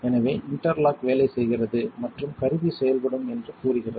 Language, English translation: Tamil, So, that just says the interlock is working and the tool appears functional